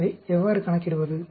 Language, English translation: Tamil, So how do calculate